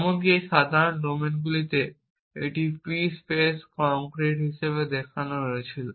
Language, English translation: Bengali, Even in these simple domains it was shown to be p space concrete